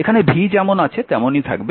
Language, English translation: Bengali, So, p is equal to v i